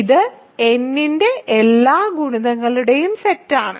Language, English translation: Malayalam, So, this is the set of all multiples of n